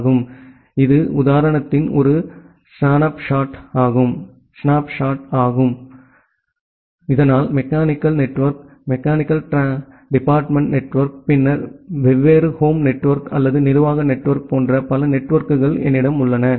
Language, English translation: Tamil, So, this is just a snapshot of the example so that way I have multiple other networks like say, mechanical network, the mechanical department network, then different home network or the administrative network